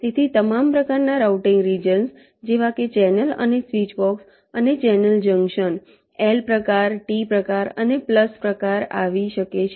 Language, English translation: Gujarati, so all the types of routing regions, like ah, channel and switchboxes and the channel junctions l type, t type and plus type